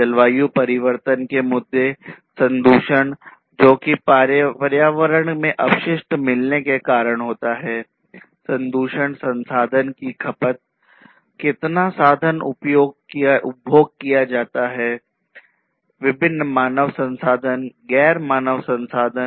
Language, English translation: Hindi, Issues of climate change, contamination – contamination of through the introduction of different wastes to the environment, contamination resource consumption, how much resources are consumed, resources of all kinds different you know human resources, non human resources